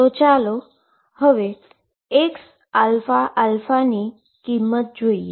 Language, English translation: Gujarati, So, now let us see the value x alpha alpha